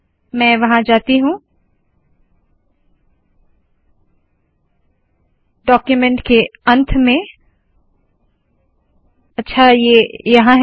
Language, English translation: Hindi, Let me just go there at the end of the document, okay here it is